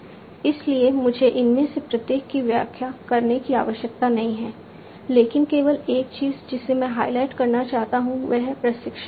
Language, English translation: Hindi, So, I do not need to explain each of these, but only thing that I would like to highlight is the training